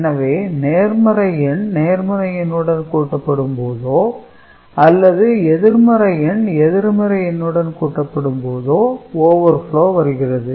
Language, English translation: Tamil, So, positive number added with positive and negative number added with negative, there could be possible cases of overflow